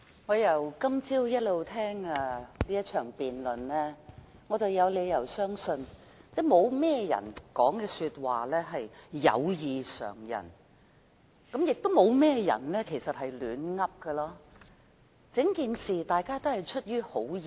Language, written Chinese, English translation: Cantonese, 我由今早一直聽這場辯論，我有理由相信沒有甚麼人的發言異於常人，亦沒有甚麼人是亂說的，大家對整件事情也是出於好意。, I have been listening to this debate since this morning . I have reasons to believe that all the speeches are normal and no one is making nonsensical comments . Members are expressing concern about the incident out of good intentions